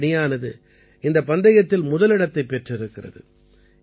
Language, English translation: Tamil, The Indian team has secured the first position in this tournament